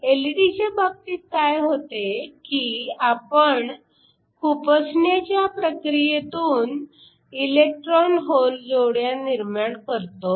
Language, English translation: Marathi, What happens in the case of LED's, by means of injection we create these electron hole pairs